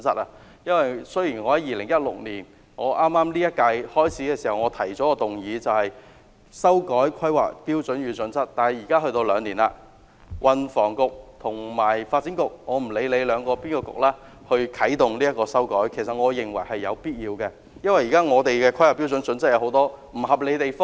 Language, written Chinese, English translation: Cantonese, 我在2016年本屆立法會任期開始時，提出一項修改《香港規劃標準與準則》的議案，兩年之後，運輸及房屋局或發展局有必要啟動修改，因為現時的《香港規劃標準與準則》有很多不合理的地方。, I moved a motion to amend HKPSG in 2016 when this term of the Legislative Council commenced . Two years have lapsed it is necessary for the Transport and Housing Bureau or the Development Bureau to make changes because the current HKPSG is unreasonable in many areas